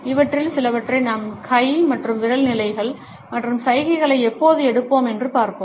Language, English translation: Tamil, Some of these we will look up when we will take up hand and finger positions and gestures